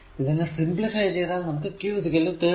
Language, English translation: Malayalam, So, you will get q is equal to 31